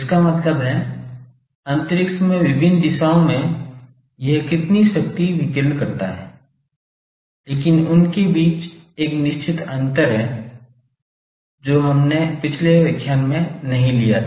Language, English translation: Hindi, That means, in various directions in space how much power it radiates, but there is a certain difference between them that that in the last lecture we did not bring out